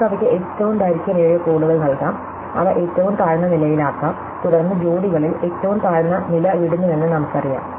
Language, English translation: Malayalam, So, we can assign them the longest codes, so they can be put at the lowest level and then we know that the lowest level leaves occur in pairs